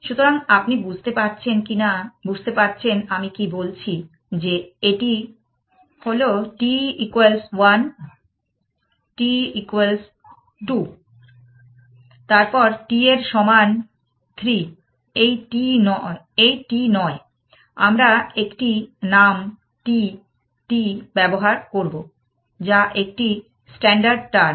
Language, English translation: Bengali, So, you understand what I am saying that, this is that t equal to 1, this is t equal to 2, then t equal to 3 not this t, we will use a term t t, which is a kind of a more standard term